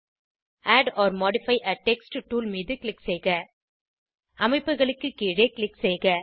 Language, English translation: Tamil, Click on Add or modify a text tool Click below the structures